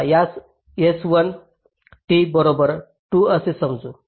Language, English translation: Marathi, so lets call it s one, t equal to two